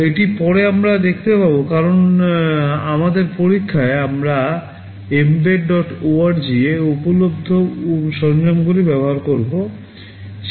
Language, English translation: Bengali, This we shall see later because in our experiments we shall be using tools available on mbed